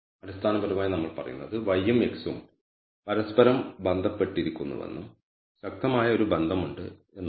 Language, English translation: Malayalam, So, basically we are saying y and x are associated with each other also there is a strong association